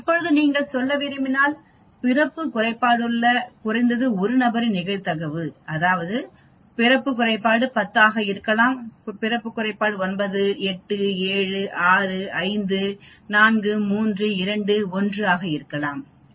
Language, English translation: Tamil, Now if you want to say probability of at least 1 person with the birth defect that means the birth defect could be all 10 having birth defect, all nine having birth defect, all 8, all 7, all 6 having birth defect, 5 having birth defect 4, 3, 2, 1